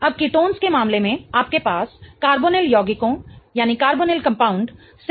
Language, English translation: Hindi, Now in the case of ketones you have two alkene groups attached to the carbonyl compound